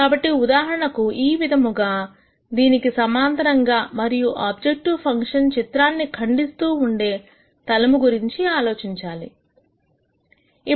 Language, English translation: Telugu, So, for example, let us say you think of a plane like this which is parallel to this and it is going to cut the objective function plot